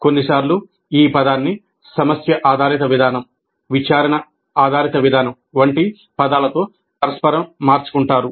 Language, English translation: Telugu, Sometimes the term is used interchangeably with terms like problem based approach, inquiry based approach, and so on